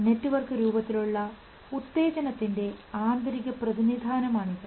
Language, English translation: Malayalam, It is an internal representation of a stimulus in the form of network